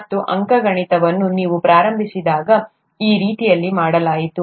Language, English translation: Kannada, And arithmetic, when you started out, was done that way